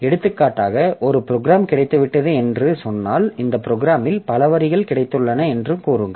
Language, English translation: Tamil, For example if I say that I have got a piece of program which is consists to say this is the program that we have and this program has got several lines in it